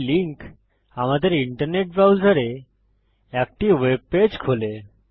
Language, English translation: Bengali, This link opens a web page on our internet browser